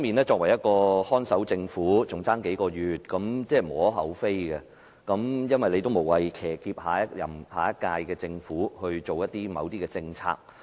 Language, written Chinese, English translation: Cantonese, 作為一個看守政府，只餘下數個月時間，這是無可厚非的，無謂騎劫下一屆政府推行某些政策。, As a caretaker government with only a few months left this is justifiable as there is no reason to hijack the next government to implement certain policies